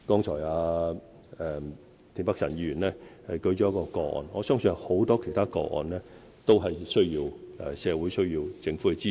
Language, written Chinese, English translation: Cantonese, 田北辰議員剛才舉了一宗個案，我相信還有很多其他個案，需要社會和政府的支持。, Mr Michael TIEN has cited one case and there are I believe many other cases that need the support of society and the Government